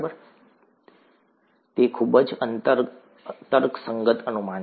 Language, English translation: Gujarati, It is, it is a very rational guess